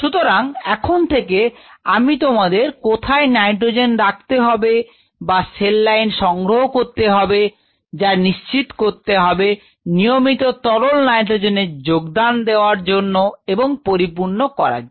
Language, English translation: Bengali, So, now after that I have talk to you about where to keep the nitrogen can or these are the cell line storage cans and ensuring, ensuring regular supply of liquid nitrogen to replenish the consume liquid n 2